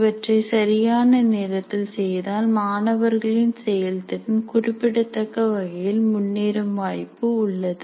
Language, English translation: Tamil, If that is given, the final performance of the student is likely to improve significantly